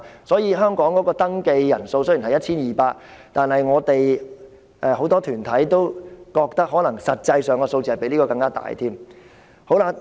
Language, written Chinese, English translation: Cantonese, 所以，香港的露宿者登記人數雖然只有 1,200， 但很多團體都認為實際的數字可能更多。, Therefore while the registration shows that there are only 1 200 street sleepers in Hong Kong many organizations believe that the actual number may be much greater